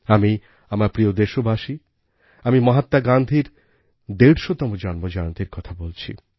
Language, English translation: Bengali, My dear countrymen, I'm referring to the 150th birth anniversary of Mahatma Gandhi